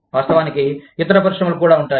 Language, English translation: Telugu, Of course, there would be, other industries also